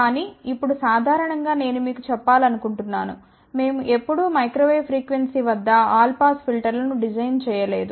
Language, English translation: Telugu, Now, but in general I want to tell you we never ever design all pass filter at microwave frequency